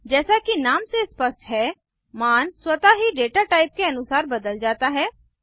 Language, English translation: Hindi, As the name goes, the value is automatically converted to suit the data type